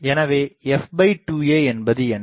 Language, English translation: Tamil, So, f by 2 a is what